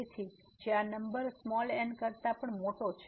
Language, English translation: Gujarati, So, which is a bigger than this number as well